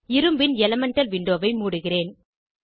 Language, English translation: Tamil, I will close Iron elemental window